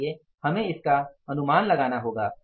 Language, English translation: Hindi, So, we have to anticipate it